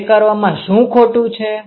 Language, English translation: Gujarati, What is wrong in doing that